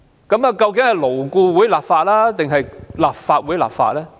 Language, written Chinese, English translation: Cantonese, 究竟是勞顧會立法，還是立法會立法呢？, Is LAB or the Legislative Council empowered to enact laws? . Obviously LAB is a consultative body